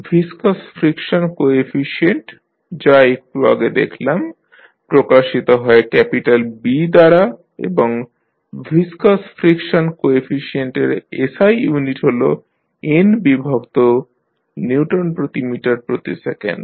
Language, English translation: Bengali, Viscous friction coefficient with just saw it is represented with capital B and the SI unit for viscous friction coefficient is n by Newton per meter per second